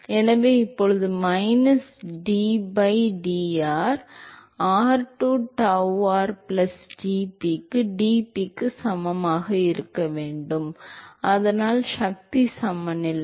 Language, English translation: Tamil, So now, there will be minus d by dr, r into tau r plus that should be equal to dp by dx, so that is the force balance